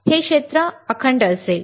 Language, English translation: Marathi, This area will be intact